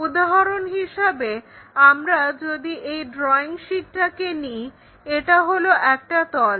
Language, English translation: Bengali, For example, if we are taking this drawing sheet, it is a plane